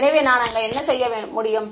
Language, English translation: Tamil, So, what can I do over there